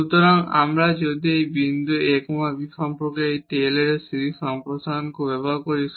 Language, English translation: Bengali, So, if we use this Taylor series expansion about this point a b